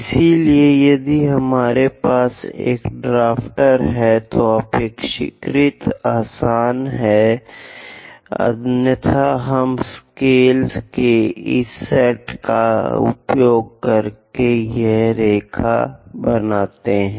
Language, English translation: Hindi, So, if you have a drafter, it is quite easy; otherwise, we use this set of scales and extend this is line